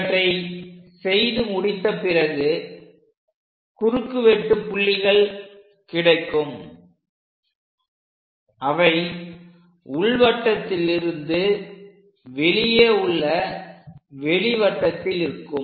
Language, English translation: Tamil, Once we are doing after that, we have these intersection points which are away from the inner circle and into that outer circle